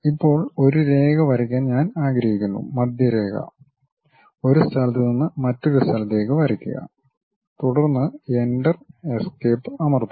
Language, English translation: Malayalam, Now, I would like to draw a line, Centerline; draw from one location to other location, then press Enter, Escape